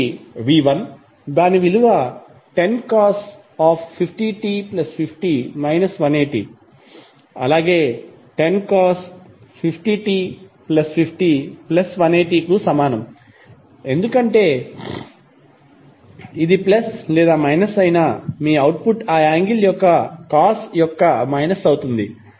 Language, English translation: Telugu, 1 is V1 is equal to 10 cost 50 t plus 50 degree minus 180 degree as well as 10 cost 50 t plus 50 degree plus 180 degree because whether it is plus or minus your output would be minus of cost of that angle